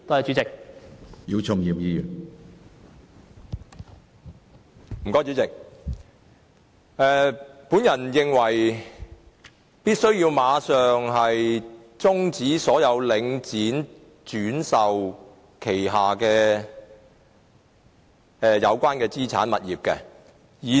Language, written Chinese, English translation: Cantonese, 主席，我認為必須馬上終止領展房地產投資信託基金旗下有關資產物業的所有轉售。, President I consider it necessary to terminate all the resale of relevant assets and properties under Link Real Estate Investment Trust Link REIT immediately